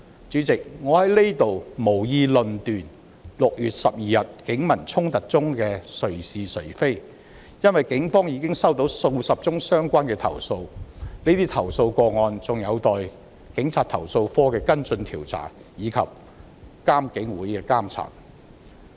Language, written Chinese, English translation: Cantonese, 主席，我在這裏無意論斷6月12日警民衝突中誰是誰非，因為警方已接獲數十宗相關的投訴，有待投訴警察課的跟進調查及獨立監察警方處理投訴委員會的監察。, President I have no intent to judge which side is in the right and which side in the wrong in the clashes between the Police and members of the public on 12 June . The Police have already received dozens of relevant complaints which will be investigated by the Complaints Against Police Office and monitored by the Independent Police Complaints Council